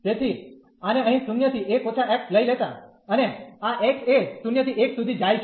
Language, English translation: Gujarati, So, taking this one here 0 to 1 minus x, and this x goes from 0 to 1